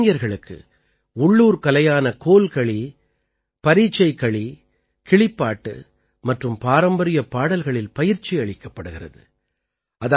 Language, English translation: Tamil, Here the youth are trained in the local art Kolkali, Parichakli, Kilipaat and traditional songs